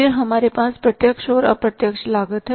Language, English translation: Hindi, Then we have the direct and the indirect cost